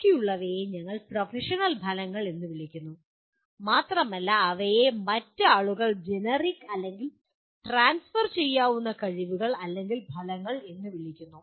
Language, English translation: Malayalam, And the remaining ones are what we call professional outcomes and they are also known by other people as generic or transferable skills or outcomes